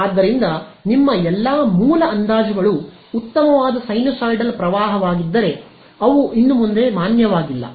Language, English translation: Kannada, So, all your original approximations if a nice sinusoidal current, they are no longer valid